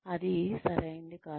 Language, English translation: Telugu, That is not the way